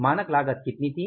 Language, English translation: Hindi, Standard cost was how much